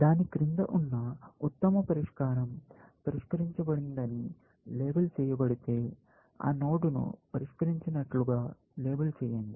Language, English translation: Telugu, If the best solution below it, is labeled solved; label that node solved